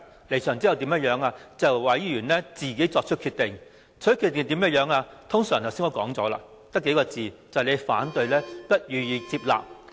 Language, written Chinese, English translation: Cantonese, 我們離場後便由委員作出決定，他們的決定通常表明"我們的反對意見不被接納"。, TPB would make a decision after we have left and it would normally state in its decision that opposing views have not been accepted